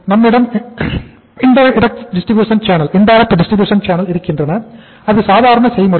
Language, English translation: Tamil, We have the indirect distribution channels which is a normal process